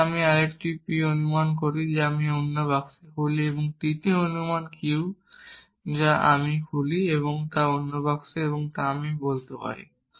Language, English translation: Bengali, Then I make another assumption p, I open another box and third assumption q which I open, another box and now I can say